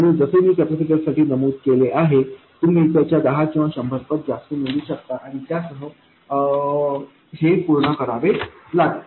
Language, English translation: Marathi, And just like I mentioned for the capacitor, you could choose, let's say, 10 times or 100 times more and be done with it